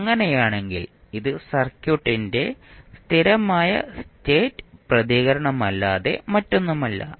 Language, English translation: Malayalam, In that case this would be nothing but steady state response of the circuit